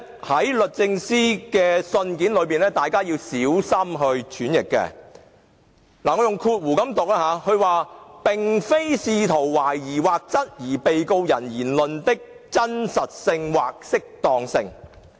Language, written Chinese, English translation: Cantonese, 第一，律政司表示"並非試圖懷疑或質疑......被告人......言論的真實性或適當性"。, First DoJ indicated that [the Prosecution] is not seeking to question or challenge the veracity or propriety of anything said by the Defendant